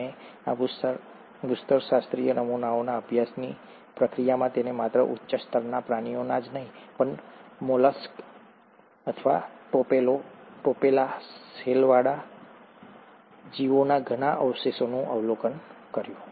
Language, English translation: Gujarati, And in the process of studying these geological specimens, he did observe a lot of fossils of not just high end animals, but even molluscs, or shelled, shelled organisms